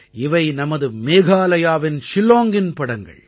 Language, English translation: Tamil, These are pictures of Shillong of our Meghalaya